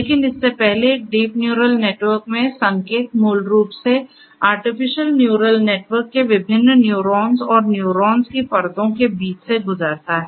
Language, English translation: Hindi, But before that, so in a deep neural network, the signals basically travel between different neurons and layers of neurons in artificial neural network